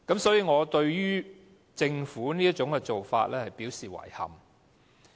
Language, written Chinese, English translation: Cantonese, 所以，我對政府這種做法表示遺憾。, I must therefore express my regret at the Governments actions